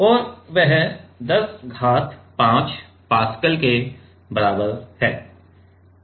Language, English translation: Hindi, And that is equals to 10 to the power 5 Pascal ok